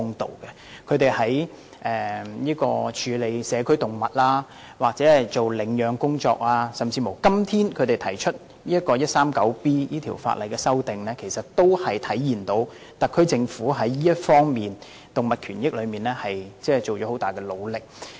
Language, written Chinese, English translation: Cantonese, 特區政府在處理社區動物或領養方面的工作，以及今天提出修訂香港法例第 139B 章，在在體現出政府在動物權益方面盡了很大努力。, The work of the SAR Government in managing community animals advocating animal adoption and introducing the proposal today to amend Cap . 139B of the Laws of Hong Kong showed that great efforts have been made in respect of animal rights